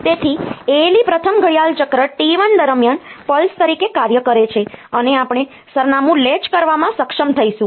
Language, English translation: Gujarati, So, the ALE operates as a pulse during the clock cycle T 1 the first clock cycle, and we will be able to latch the address